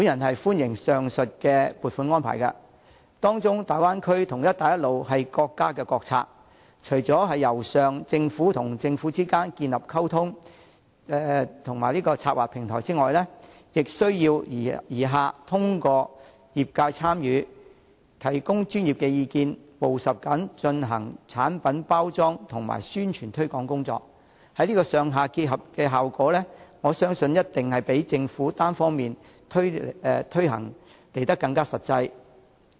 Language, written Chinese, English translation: Cantonese, 我歡迎上述撥款安排，其中大灣區和"一帶一路"是國家國策，除了"由上"政府與政府之間建立溝通及策劃平台外，也需"而下"透過業界參與，提供專業意見，務實地進行產品包裝及宣傳推廣工作，這種"上下結合"安排必定較由政府單方面推行更為實際。, Given that the Bay Area and the Belt and Road Initiative are national policies a platform has to be established among governments for communication and planning purposes . In addition the industry must be engaged to provide expert opinions and undertake product packaging and publicity and promotion work in a pragmatic manner . This top - down arrangement that sees combined official - civil efforts is definitely more practical than the promotion efforts unilaterally made by the Government